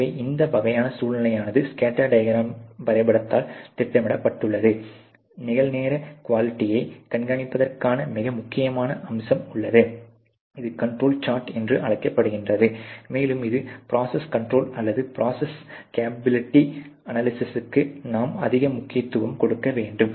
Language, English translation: Tamil, So, these kind of situations are plotted by scattered diagram, there is also a very important aspect to monitor real time the quality which is called the control chart, and this is something where we have to emphasize more towards process control or process capability analysis